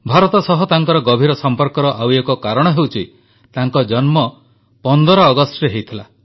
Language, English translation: Odia, Another reason for his profound association with India is that, he was also born on 15thAugust